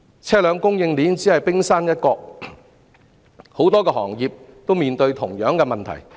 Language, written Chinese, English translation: Cantonese, 車輛供應鏈只是冰山一角，很多行業均面對同樣問題。, The vehicle supply chain is merely the tip of the iceberg in many industries facing similar problems